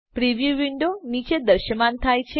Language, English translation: Gujarati, A preview window has appeared below